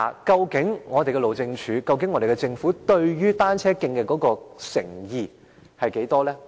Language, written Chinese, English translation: Cantonese, 究竟路政署和政府對改善單車徑的誠意有多少？, Are HyD and the Government truly sincere in improving cycle tracks?